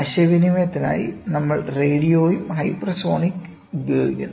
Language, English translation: Malayalam, We are using radio and hypersonic for communication, ok